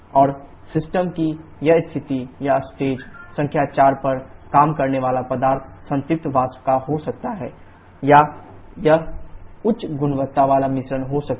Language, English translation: Hindi, And this state of the system or working substance at state number 4 can be of saturated vapour or it may be a high quality mixture